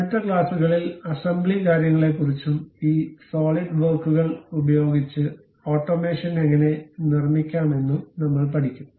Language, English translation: Malayalam, In the next classes, we will learn about assembly things and how to make automation using this solid works